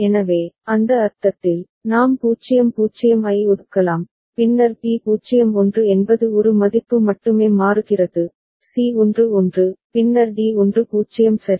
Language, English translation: Tamil, So, in that sense, a we can assign 0 0, then b is 0 1 only one value is changing, c is 1 1 and then d is 1 0 ok